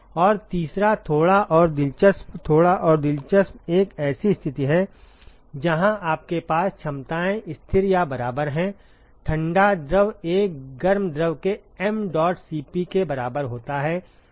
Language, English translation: Hindi, And the third one, a little bit more interesting, a little bit more interesting is a situation where you have the capacities are constant or equal; the cold fluid is equal to m dot C p of a hot fluid